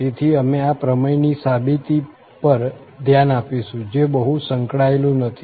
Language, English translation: Gujarati, So, we will look into the proof of this theorem, which is not very involved